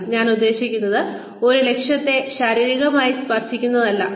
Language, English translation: Malayalam, I mean, it is not about physically touching, an objective